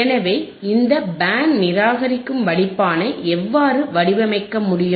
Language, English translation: Tamil, How you can design the band reject filter